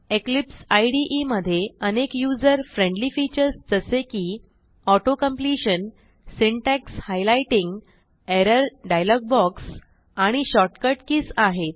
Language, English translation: Marathi, Eclipse IDE supports many user friendly features such as Auto completion, Syntax highlighting, Error dialog box, and Shortcut keys